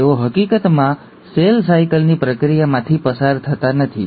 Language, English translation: Gujarati, They, in fact do not undergo the process of cell cycle